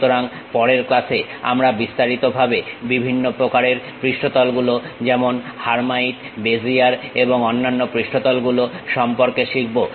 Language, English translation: Bengali, So, in the next class we will in detail learn about these different kind of surfaces like hermite, Bezier and other surfaces